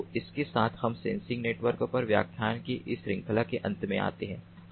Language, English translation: Hindi, so with this we come to an end of this series of lectures on sensor networks